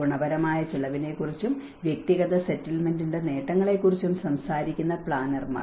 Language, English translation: Malayalam, And planners which talk about the qualitative cost and the benefits of individual versus settlement